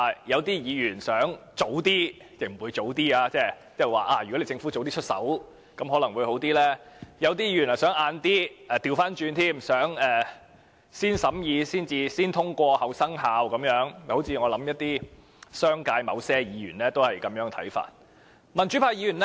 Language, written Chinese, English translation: Cantonese, 有些議員希望能提早生效，認為如果政府能早些實施，可能會更好；有些議員則想延遲，反過來想先審議、後生效，我想商界某些議員也有這樣的看法。, Some Members hope it can come into effect earlier considering that it may be better if the Government can advance the implementation . Some other Members on the contrary wish to defer it and subject it to positive vetting . I think certain Members in the business sector also hold such a view